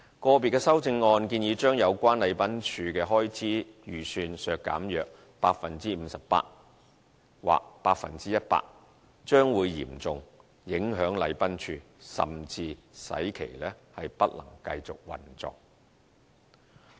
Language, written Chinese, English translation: Cantonese, 個別修正案建議將有關禮賓處的開支預算削減約 58% 或 100%， 將會嚴重影響禮賓處，甚至使其不能繼續運作。, Individual amendments suggest reducing the estimated expenditure of the Protocol Division by 58 % or 100 % which will seriously affect the Protocol Division or will even render it unable to operate any further